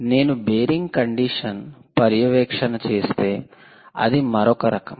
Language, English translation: Telugu, if you do bearing condition monitoring, its another type